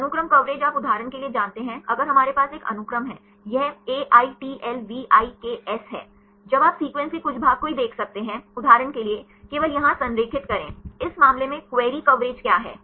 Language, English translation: Hindi, Sequence coverage you know for example, if we have one sequence; this is AITLVIKS; now you can see aligned only some part of the sequences; for example, aligned only here, in this case what is the query coverage